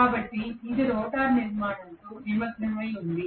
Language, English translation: Telugu, So it has engaged with the rotor structure